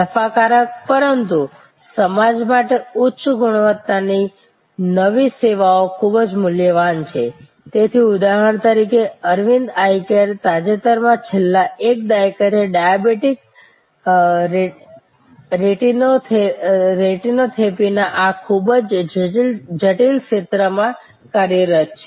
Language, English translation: Gujarati, But, very valuable for the society high quality new services, so for example, Aravind Eye Care was recently engaged over the last decade or so, this very complex area of diabetic retinopathy